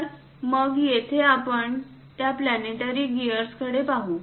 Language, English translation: Marathi, So, here let us look at that planetary gear